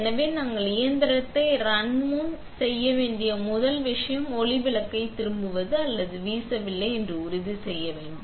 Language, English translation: Tamil, So, before we run the machine, the first thing we got to do is make sure the light bulb is turned on or even not blown up